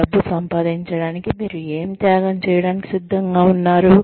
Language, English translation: Telugu, What are you willing to sacrifice, to make money